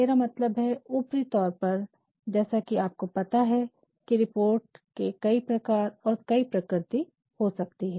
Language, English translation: Hindi, I mean at a surface level we can because you know reports, can be of various natures of various types